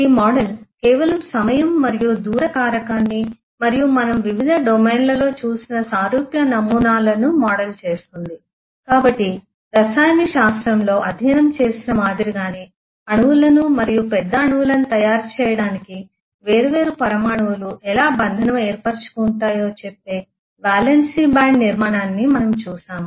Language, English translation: Telugu, Because this model just models a \time and distance aspect and similar eh similar eh models we have seen in variety of eh domains that we have already studied like in chemistry we have seen valence bond structure which tell us eh eh how the different eh atoms bind to make molecules and bigger molecules and so on